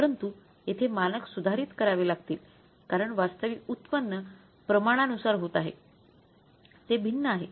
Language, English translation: Marathi, But here because we have to revise the standard because the actual yield is not as for the standard it has differed